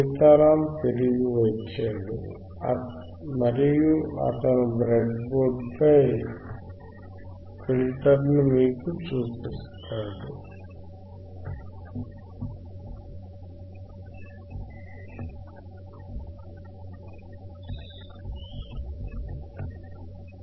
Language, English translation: Telugu, Sitaram is back and he will show you the filter he will show you the filter on on the breadboard